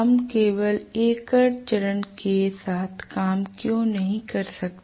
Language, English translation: Hindi, Why cannot we just work with single phase